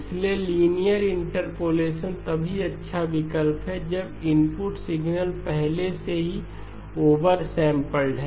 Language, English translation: Hindi, So linear interpolation is a good option only when you have, input signal is already over sampled